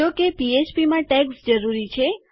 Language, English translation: Gujarati, However, in PHP, you need the tags